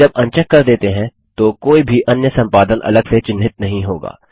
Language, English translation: Hindi, When unchecked, any further editing will not be marked separately